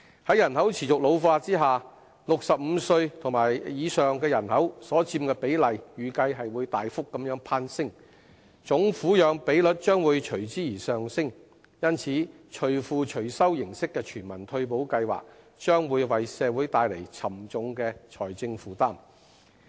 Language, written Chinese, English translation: Cantonese, 在人口持續老化下 ，65 歲及以上人口的比例預計會大幅攀升，總撫養比率將會隨之而上升，因此"隨付隨收"的全民退休保障計劃，將會為社會帶來沉重的財政負擔。, As the population is ageing the proportion of people aged 65 and above is expected to rise sharply so is the overall dependency ratio . Hence a universal retirement protection scheme financed on a pay - as - you - go basis will bring a heavy financial burden to society